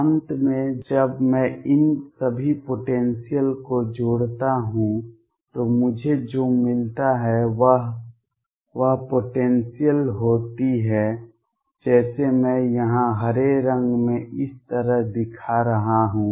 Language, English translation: Hindi, Finally, when I add all these potentials what I get is the potential like I am showing in green out here like this